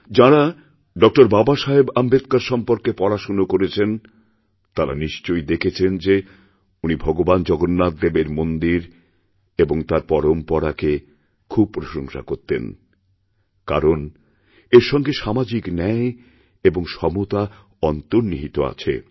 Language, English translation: Bengali, Baba Saheb Ambedkar, would have observed that he had wholeheartedly praised the Lord Jagannath temple and its traditions, since, social justice and social equality were inherent to these